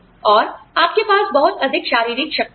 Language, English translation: Hindi, And, you have a lot of physical strength